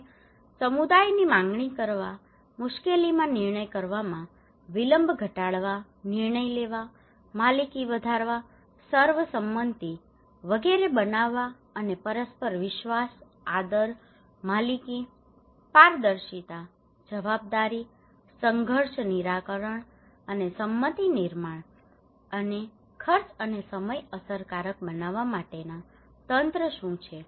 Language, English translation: Gujarati, And what are the mechanism to channel communities demand, reduce delay in difficult, decision making, enhance ownership, build consensus etc and ensure mutual trust, respect, ownership, transparency, accountability, conflict resolution and consensus building, and cost and time effective